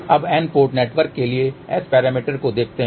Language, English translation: Hindi, Now, let just look at S parameters for N port network